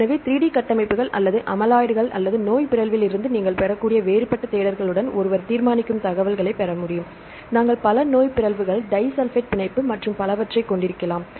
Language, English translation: Tamil, So, that one can obtain the decide information with any different searches right you can get from 3D structures or amyloids or the disease mutation, we can contain several disease mutations, disulfide bond, and so on